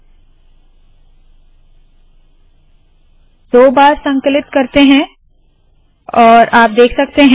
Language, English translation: Hindi, I will compile it twice and there it is